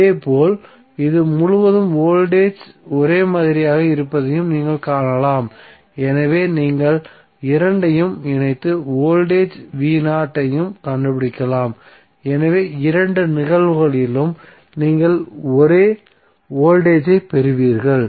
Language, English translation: Tamil, Similarly, you can also see that is voltage across this would be same so you can club both of them and find out also the voltage V Naught so, in both of the cases you will get the same voltage